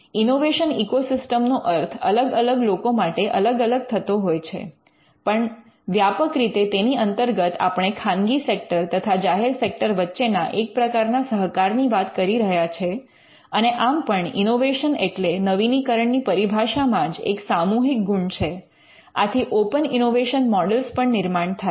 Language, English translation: Gujarati, Now, innovation ecosystem means many things to many people, but largely we are looking at some kind of a cooperation between the public sector and the private sector and innovation by definition has a collective character so, that there are open innovation models